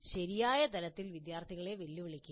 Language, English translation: Malayalam, So challenge the students at the right level